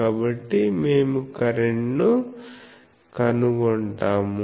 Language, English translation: Telugu, So, we will determine the current